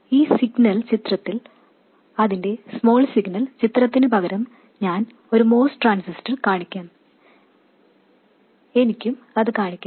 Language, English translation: Malayalam, And the signal picture I will show a Moss transistor instead of its small signal picture, I could also show that